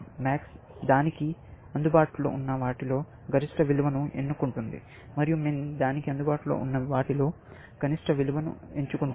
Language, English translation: Telugu, Max chooses the maximum of the values, available to it, and min chooses a minimum of the values, available to it